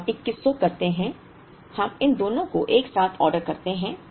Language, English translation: Hindi, Then we do 2100, we end up ordering these two together